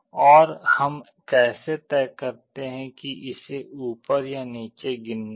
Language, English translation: Hindi, And how we decide whether it is going to count up or down